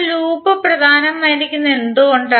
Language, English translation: Malayalam, Now, why the loop is important